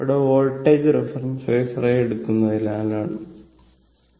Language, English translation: Malayalam, So, same thing here the current as reference phasor